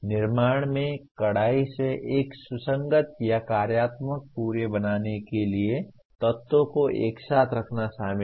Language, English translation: Hindi, Creation is strictly involves putting elements together to form a coherent or a functional whole